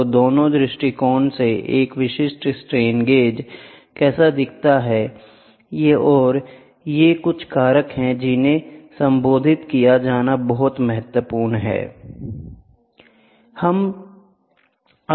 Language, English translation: Hindi, So, this is how a typical strain gauge looks like from both the views and these are some of the factors which are very important to be addressed